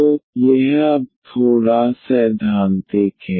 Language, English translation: Hindi, So, this is a little theoretical now